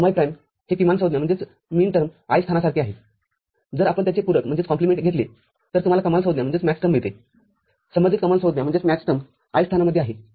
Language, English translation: Marathi, So, mi prime is same as a minterm ith position, if you take complement of it you get Maxterm, the corresponding Maxterm in the i th position